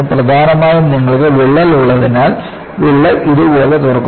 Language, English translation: Malayalam, Mainly because you have the crack and the crack opens up like this